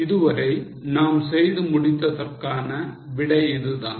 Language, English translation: Tamil, This is the solution so far we have done